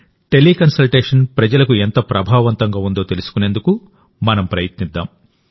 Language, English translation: Telugu, Let us try to know how effective Teleconsultation has been for the people